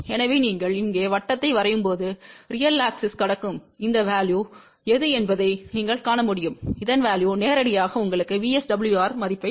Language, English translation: Tamil, So, when you draw the circle here, what you can see whatever is this value which is crossing the real axis that value here will directly give you the VSWR value which is 3